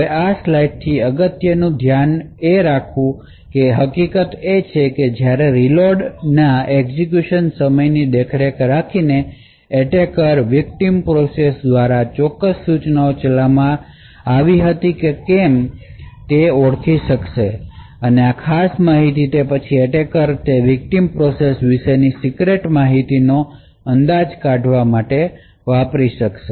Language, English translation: Gujarati, Now the important take away from this particular slide is the fact that by monitoring the execution time of the reload, the attacker would be able to identify whether certain instructions were executed by the victim process or not, and from this particular information the attacker would then be able to infer secret information about that victim process